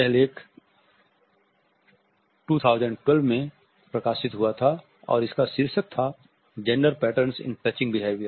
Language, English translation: Hindi, this article was published in 2012 and the title is Gender Patterns in Touching Behavior